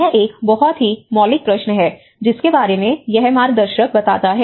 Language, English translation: Hindi, This is a very fundamental question which this whole guide talks about